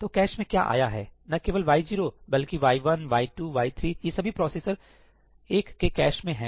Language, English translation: Hindi, So, what has come into the cache not just y 0, but y 1, y 2, y 3, all of them are in the cache of processor 1